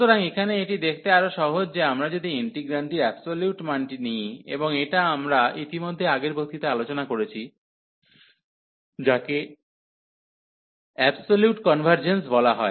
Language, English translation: Bengali, So, here it is rather easy to see that if we take given the absolute value of the integrand, and we have discussed already in the last lecture, which is called the absolute convergence